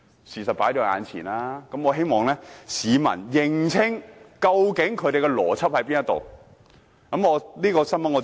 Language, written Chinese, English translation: Cantonese, 事實已放在眼前，我希望市民認清，究竟他們的邏輯是甚麼。, Now that the facts are laid before us I hope members of the public will be able to discern their logic